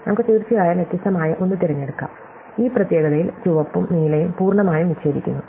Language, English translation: Malayalam, So, we could, of course choose a different one, which in this particular one the red one and the blue one are completely disjoint